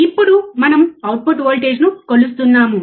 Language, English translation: Telugu, Now, we are measuring the output voltage